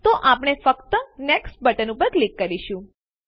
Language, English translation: Gujarati, So we will simply click on the Next button